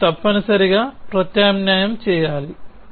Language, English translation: Telugu, I should substitute essentially